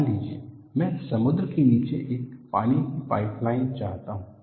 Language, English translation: Hindi, Say, suppose I want to have a underwater pipeline below the sea